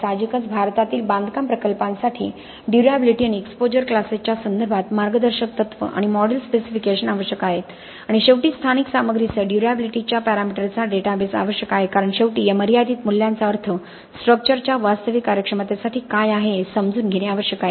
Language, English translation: Marathi, Obviously need guidelines and model specification for construction projects in India regarding durability and exposure classes have to be made more relevant and finally the database of durability parameters with local materials is necessary because ultimately understanding what these limiting values mean for the actual performance of the structure will be only possible when you have a large database with the existing materials that we have in our country